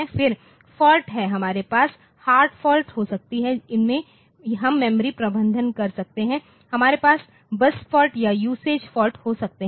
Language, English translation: Hindi, Then the faults we can have hard fault, we can have memory manage, we can have bus fault or usage fault